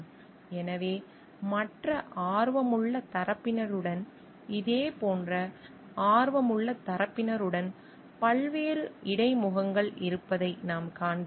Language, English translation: Tamil, So, what we find as many different interfaces are there with the other interested parties, similarly interested parties